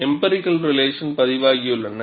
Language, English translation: Tamil, There are empirical relations reported